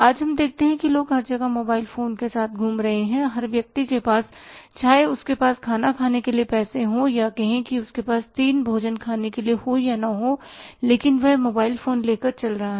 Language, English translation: Hindi, Today you see that people are roaming with mobile phones everywhere every person whether he has the money to eat food or say have the three meals food with him or not but he is carrying a mobile phone and it is at the throw away prices is so cheap